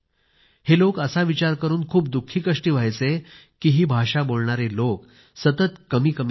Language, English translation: Marathi, They are quite saddened by the fact that the number of people who speak this language is rapidly dwindling